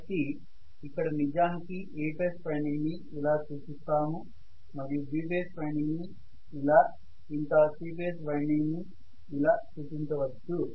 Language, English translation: Telugu, So I will have basically A phase winding shown like this, may be B phase winding shown like this, C phase winding shown like this